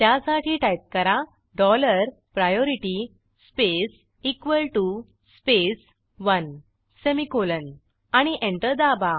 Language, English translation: Marathi, For this type dollar priority space equal to space one semicolon and press Enter